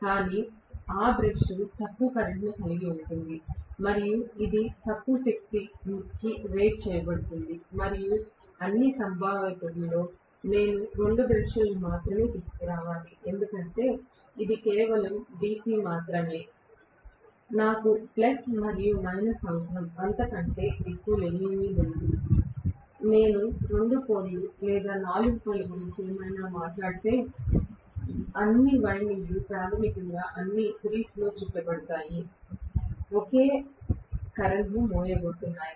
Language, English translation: Telugu, But that brush will carry lower current and it will be rated for lower power and I have to bring out only 2 brushes in all probability, because it is only DC, I will require only plus and minus, nothing more than that, if I am talking about, even 2 pole or 4 pole or whatever, all the windings will be wound in series basically